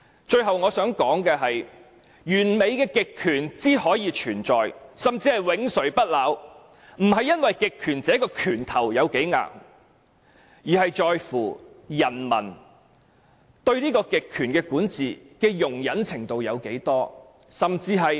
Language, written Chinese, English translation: Cantonese, 最後我想說，完美的極權之所以存在，甚至永垂不朽，並不是因為極權者的拳頭有多硬，而是在乎人民對極權管治的容忍程度有多大。, Lastly I would like to bring out one point the existence or even perpetual existence of a perfect totalitarian regime lies not with how high - handed the measures but to what extent people tolerate the totalitarian rule